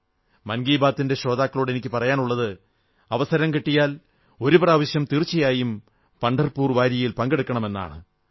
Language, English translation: Malayalam, I request the listeners of "Mann Ki Baat" to visit Pandharpur Wari at least once, whenever they get a chance